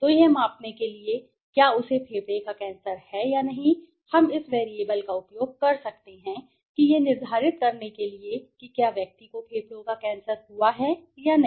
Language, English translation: Hindi, So, to measure this whether he is having a lung cancer or not we can use this variables the predictor variables to decide whether the person has got ling cancer or not